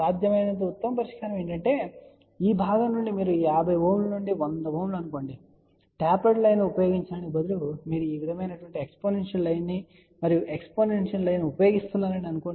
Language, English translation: Telugu, The best possible solution is that from this part which is let us say 50 Ohm to 100 Ohm , instead of using tapered line, if you use exponential line like this and exponential line